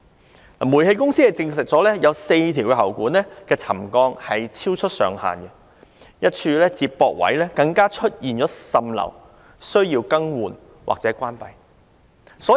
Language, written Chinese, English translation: Cantonese, 香港中華煤氣有限公司證實有4條喉管的沉降超出上限，一處接駁位更出現滲漏，須更換或關閉。, The Hong Kong and China Gas Company Limited confirmed that the settlement of four pipes had exceeded the threshold and leaks even occurred at one connection point and replacement or service suspension was necessary